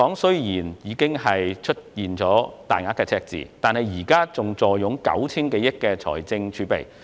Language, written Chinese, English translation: Cantonese, 雖然香港出現大額赤字，但現時仍坐擁 9,000 多億元的財政儲備。, In spite of a substantial deficit Hong Kongs current fiscal reserves still stand at some 900 billion